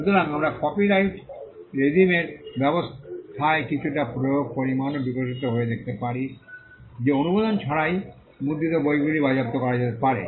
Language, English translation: Bengali, So, we can see some amount of enforcement also evolving in the copyright regime in the sense that books that were printed without authorisation could be confiscated